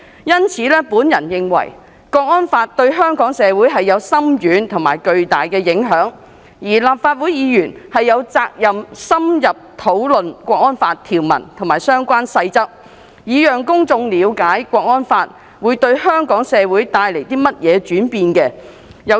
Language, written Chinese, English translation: Cantonese, 因此，我認為《港區國安法》對香港社會有深遠而巨大的影響，而立法會議員亦有責任深入討論《港區國安法》的條文及相關細則，讓公眾了解《港區國安法》對香港社會將帶來的轉變。, For this reason I think HKNSL will have far - reaching profound implications on Hong Kong society and Members of the Legislative Council are duty - bound to hold in - depth discussions on the provisions of HKNSL and the relevant rules so as to enable the public to understand the changes brought by HKNSL to the Hong Kong community